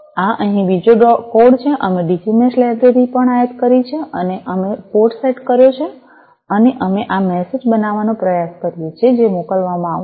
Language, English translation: Gujarati, this is the other code here, also we have imported the Digi Mesh library and we have set the port etcetera etcetera and also we try to you know form this message that is going to be sent